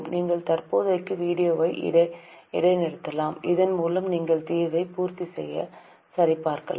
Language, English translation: Tamil, You can pause the video for the time being so that you can complete and verify the solution